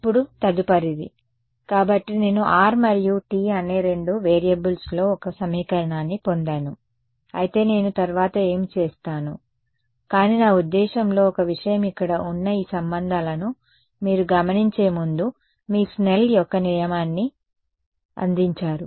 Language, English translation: Telugu, Now, next is; so, I have got one equation in two variables r and t right what do I do next, but wait I mean one thing before that you notice that this these relations over here these taken together basically give you your Snell’s law